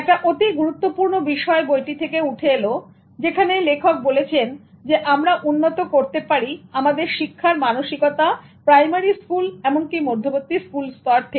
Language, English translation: Bengali, One of the important observation that comes from the book is that the author says we have developed our learning mindsets from the primary or even the middle school level itself